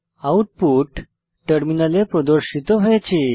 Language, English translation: Bengali, The output is as shown on the terminal